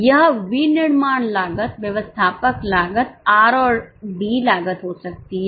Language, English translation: Hindi, It can be manufacturing costs, admin costs, R&D costs